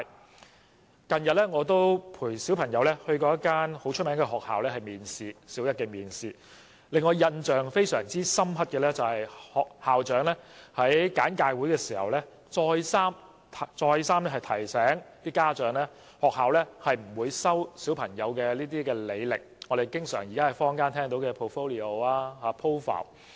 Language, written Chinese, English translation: Cantonese, 我近日曾經陪同家中小朋友到一間出名的學校參加小一面試，校長在簡介會的一番說話至今仍然令我印象難忘，他竟然再三告訴家長，學校不會看小朋友的履歷，即我們經常聽到的 portfolio 或 profile。, I have recently accompanied my child to attend a Primary One interview in a prestigious school and I am still impressed by the remarks made by the school principal in a briefing session . He reminded parents repeatedly that the school would not take any look at the childrens portfolios or profiles